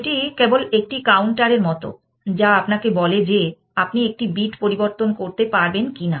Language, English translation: Bengali, This is simply like a counter, which tells you whether you are allowed to change that bit or not